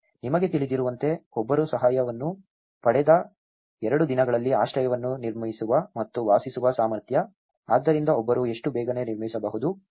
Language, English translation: Kannada, You know, one is ability to build and inhabit the shelter within two days of receiving assistance, so how quickly one can build